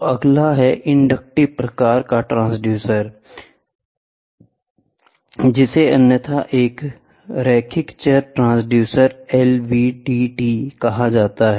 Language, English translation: Hindi, So, the next one is inductive type transducer which is the other which is otherwise called as a linear variable transducer LVDT